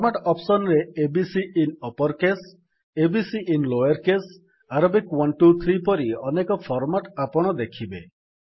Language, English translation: Odia, Under the Format option, you see many formats like A B C in uppercase, a b c in lowercase,Arabic 1 2 3and many more